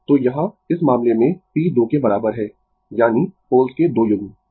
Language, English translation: Hindi, So, here in this case you have p is equal to 2, that is two pairs of poles right